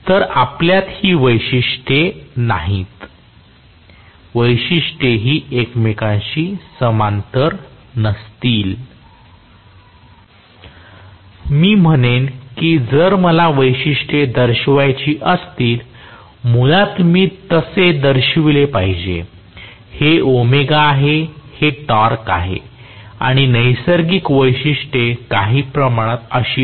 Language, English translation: Marathi, So we will not have the characteristic also, the characteristics will not be parallel to each other so, I would say if I have to show the characteristics, basically I should show it as though, this is omega this is the torque and the natural characteristics are somewhat like this